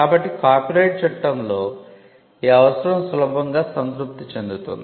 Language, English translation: Telugu, So, this requirement in copyright law is easily satisfied